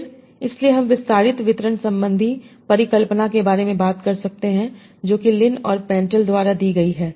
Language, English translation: Hindi, So, so we can talk about the extended distribution hypothesis that was given by Linenthal